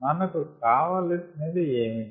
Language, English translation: Telugu, what is needed